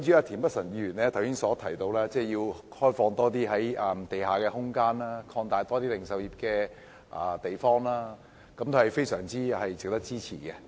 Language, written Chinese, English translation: Cantonese, 田北辰議員剛才提到要開放更多地下空間，以及擴大零售業的地方等建議，也是非常值得支持的。, Mr Michael TIENs suggestions to open up more underground space find bigger places for the retail industry and so on are also very worth supporting